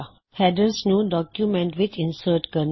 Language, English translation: Punjabi, How to insert headers in documents